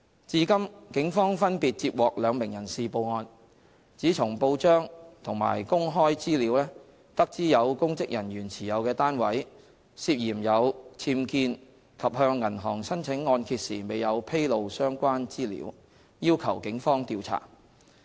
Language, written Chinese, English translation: Cantonese, 至今，警方分別接獲兩名人士報案，指從報章和公開資料得知有公職人員持有的單位，涉嫌有僭建及向銀行申請按揭時未有披露相關資料，要求警方調查。, So far the Police have separately received reports from two individuals requesting the Polices investigation based on their knowledge from the newspaper and public information that there were suspected illegal structures in a public officers property and no reference to the relevant information was made in applying to the bank for mortgage